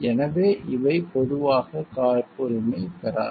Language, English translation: Tamil, So, that is why these are not generally patentable